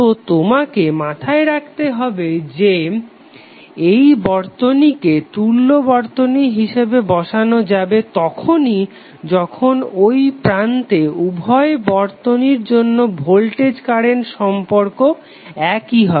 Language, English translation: Bengali, So you have to keep in mind that these circuits are set to be equivalent only when you have voltage current relationship same for both of the circuit at the terminal